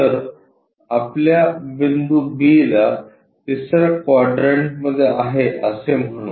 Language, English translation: Marathi, So, our point b let us call its in the third quadrant there